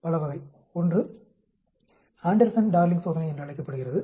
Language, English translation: Tamil, Many of them, one is called the Anderson Darling test